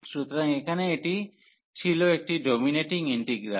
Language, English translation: Bengali, So, here this was a dominating integral